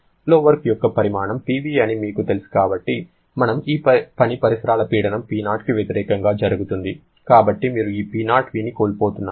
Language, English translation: Telugu, We know the magnitude of flow work is Pv and as this work is being done against the surrounding pressure P0, so you are losing this P0v, so P P0*v is the surrounding work